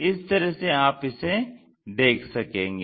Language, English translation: Hindi, This is the way you see